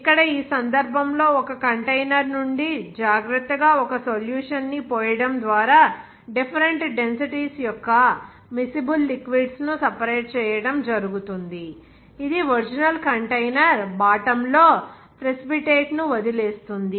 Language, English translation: Telugu, Here, in this case, the separation of miscible liquids of different densities by carefully pouring a solution from a container is being done, which leaves the precipitate at the bottom of the original container